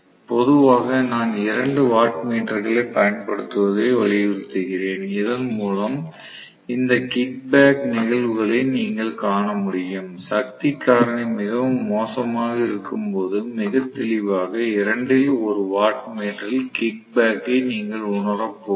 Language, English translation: Tamil, So, generally I insist on using to wattmeter so that you guys are able to see these kicking back phenomena, it is important to see that only then you are going to realize that when the power factor is really bad I am going to get very clearly a kicking back in 1 of the wattmeter